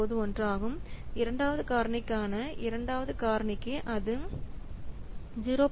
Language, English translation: Tamil, 9091 for second factor for second rate is 0